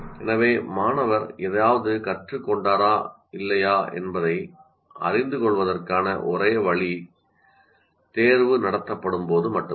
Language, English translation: Tamil, So the only way the student will know whether he has learned something or not is only when the examination is conducted